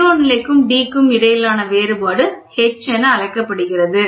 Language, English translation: Tamil, The difference between 0 level and big D is called as H, ok